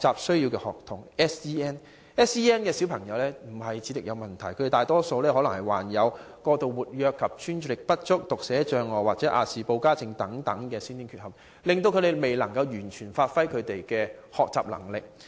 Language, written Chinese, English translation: Cantonese, SEN 學童並非有智力問題，而是大多有過度活躍及專注力不足、讀寫障礙或亞氏保加症等先天缺陷，以致他們未能完全發揮學習能力。, Though these students have no intellectual problems most of them have congenital defects such as Hyperactivity Disorder and Attention Deficit Dyslexia or Aspergers Disorder . As a result they cannot fully exploit their academic ability